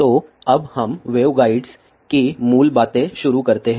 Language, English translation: Hindi, So, let us begin with basics of waveguides